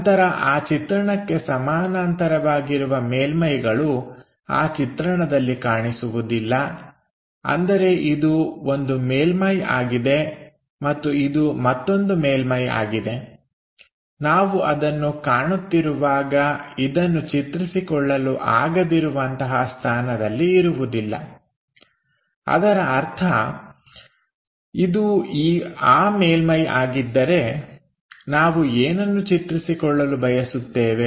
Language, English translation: Kannada, Then surfaces parallel to the view would not be visible in that view; that means, this is one surface and this is other one, we may not be in a position to visualize this one when we are visualizing that; that means, if this is the surface what we want to visualize we can not really see visualize this surface or perhaps that surface